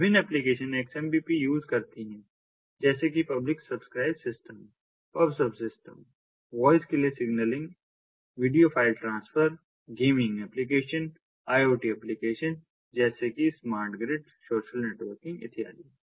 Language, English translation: Hindi, the different applications that use xmpp publish subscribe systems, pubsub systems, then signaling for voip, ah, video file transfer, gaming applications, iot applications such as smart grid, social networking and so on